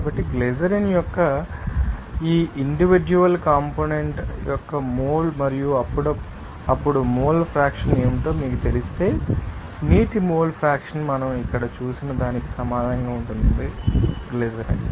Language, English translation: Telugu, So, mole fraction of water if you know that mole of this individual component of glycerin and also what are then mole fraction will be equal to what that we saw here mole moles of water divided by total moles of you know mixture that is moles of water and moles of glycerin